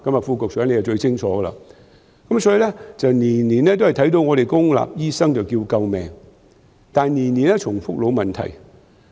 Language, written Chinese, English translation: Cantonese, 副局長最清楚了，所以每年也看到公立醫院的醫生喊救命，但每年都重複老問題。, The Under Secretary is very clear about this . Hence while we see the doctors from public hospitals crying out for help each year the old problem also repeat itself every year